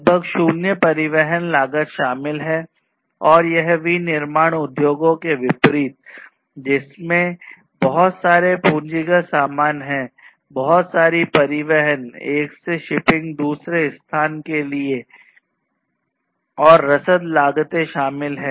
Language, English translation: Hindi, So, there is almost like zero transportation cost that is involved and that is unlike the manufacturing industries which have lot of capital goods, lot of transportation costs are involved, shipping from one location to another, logistics, so many, so much of complications are there